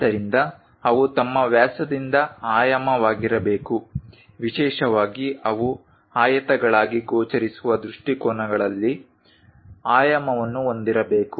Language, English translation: Kannada, So, they should be dimension by their diameters, especially should be dimensioned in the views that they appear as rectangles